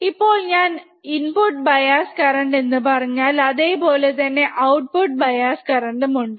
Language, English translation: Malayalam, Now, if I say input bias current, then we have input offset current as well